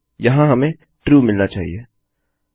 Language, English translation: Hindi, Here we should get True